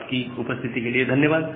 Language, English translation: Hindi, Thank you all for attending this class